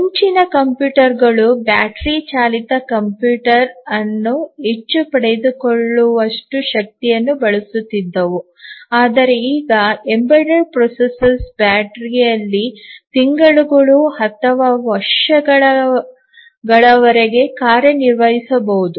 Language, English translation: Kannada, Earlier the computers were using so much of power that battery operated computer was far fetched, but now embedded processor may work for months or years on battery